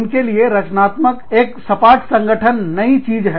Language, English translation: Hindi, For them, creativity, a flatter organization, is a new thing